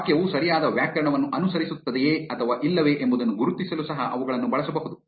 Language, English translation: Kannada, They can also be used to identify whether a sentence follows correct grammar or not